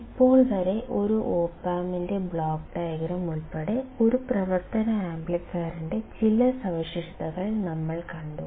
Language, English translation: Malayalam, Until now, we have seen a few characteristics of an operational amplifier including the block diagram of an op amp